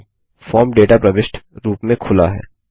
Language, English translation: Hindi, Now the form is open in data entry mode